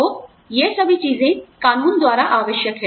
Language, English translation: Hindi, So, all of these things are required by law